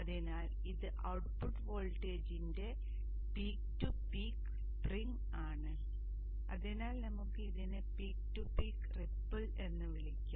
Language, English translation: Malayalam, So this is the peak to peak swing of the output voltage and therefore we can call that one as the peak to peak ripple